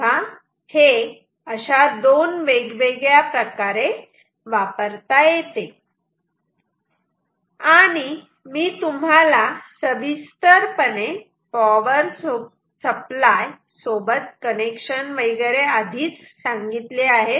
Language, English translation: Marathi, So, this can be used in two different ways and I have shown you detailed connection with power supply etcetera everything ok